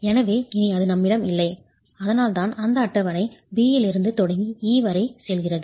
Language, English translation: Tamil, So we don't have that any longer and that's why this table starts from B and goes all the way to E